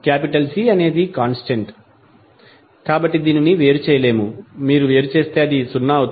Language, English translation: Telugu, C is a constant, so they cannot differentiate, if you differentiate it will become zero